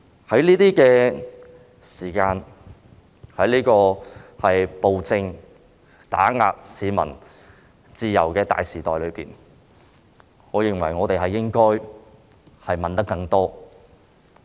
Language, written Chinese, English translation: Cantonese, 在這個時間......在這個暴政打壓市民自由的大時代中，我認為我們應該問得更多。, At this time in the midst of this era when peoples freedom is suppressed by the despotic regime I think we should ask more questions